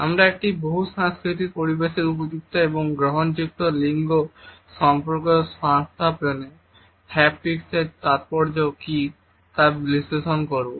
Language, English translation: Bengali, We would also analyze what is the significance of haptics in establishing appropriate and acceptable gender relationship in a multicultural setting